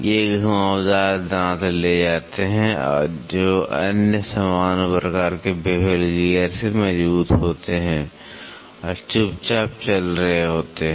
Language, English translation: Hindi, They carry curved teeth are stronger than the other common type of bevel gear and are quietly running